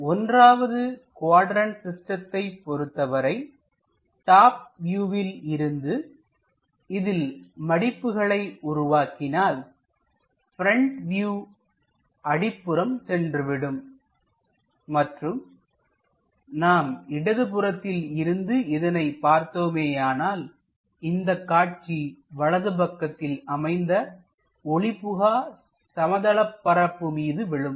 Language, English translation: Tamil, In case of 1st quadrant system, the front view after folding it from top view comes at bottom and if we are looking from left hand side, the view comes on to the projection onto this opaque plane of left hand side uh to the right side